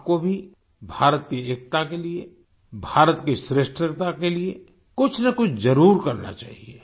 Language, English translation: Hindi, You too must do something for the unity of India, for the greatness of India